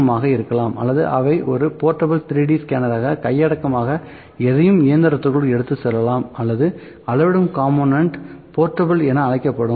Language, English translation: Tamil, M or they meant as a portable 3D scanner anything that can be held in hand taken to the machine or the component that will like to measure is would be called as portable